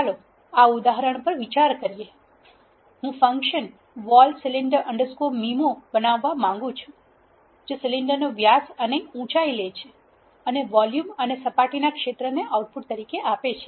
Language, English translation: Gujarati, Let us consider this example I want to create a function vol cylinder underscore MIMO which takes diameter and height of the cylinder and returns volume and surface area